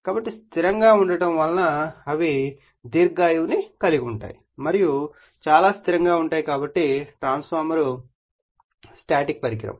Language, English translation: Telugu, So, being static they have a long life and are very stable so, the transformer get static device